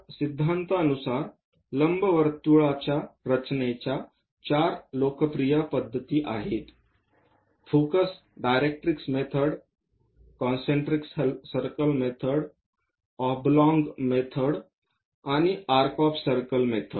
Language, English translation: Marathi, So, in principle to construct ellipse, the popular methods are four focus directrix method, a concentric circle method, oblong method and arc of circle method